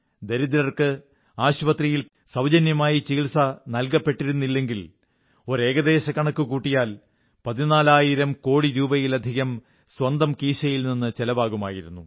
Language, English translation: Malayalam, If the poor had to pay for the treatment post hospitalization, had they not received free treatment, according to a rough estimate, more than rupees 14 thousand crores would have been required to be paid out of their own pockets